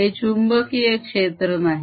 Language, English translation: Marathi, it is not the magnetic field